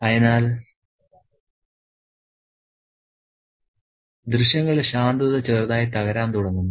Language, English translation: Malayalam, So, the calmness of the scene slightly begins to crack